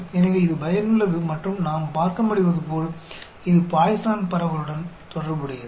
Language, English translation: Tamil, So, it is an useful and as we can see, it is related to Poisson distribution